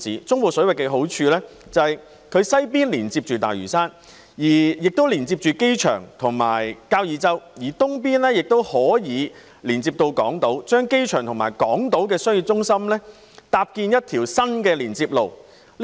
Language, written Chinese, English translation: Cantonese, 中部水域的好處是其西邊連接大嶼山、機場及交椅洲，東邊則連接港島，故此可搭建一條新的連接路接通機場及港島的商業中心。, The advantage of the Central Waters is that to its west lie the Lantau Island the airport and Kau Yi Chau and to the east Hong Kong Island thus making it possible to construct a new link road connecting the airport and the core business districts on Hong Kong Island